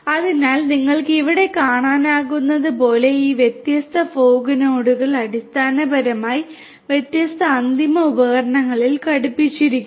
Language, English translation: Malayalam, So, as you can see over here these different fog nodes they basically you know they are fitted to they basically are fitted to different different end devices right